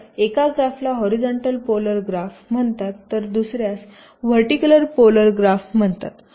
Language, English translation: Marathi, so one of the graph is called horizontal polar graph, other is called vertical polar graph